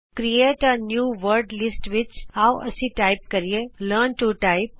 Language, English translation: Punjabi, In the Create a New Wordlist window, let us type Learn to Type